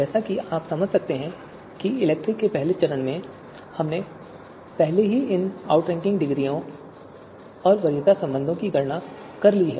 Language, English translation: Hindi, So as you can understand that you know in the stage one of ELECTRE, we have already computed these you know outranking degrees and preference relations